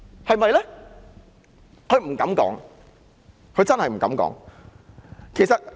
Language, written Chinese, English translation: Cantonese, 她不敢說，她真的不敢這樣說。, Will she? . She dare not commit herself on it . She dare not say so